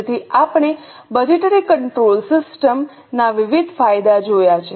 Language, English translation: Gujarati, So, we have seen various advantages of budgetary control system